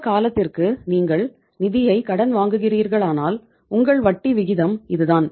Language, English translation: Tamil, So it means if you are borrowing the funds for this much period of time your interest rate is this much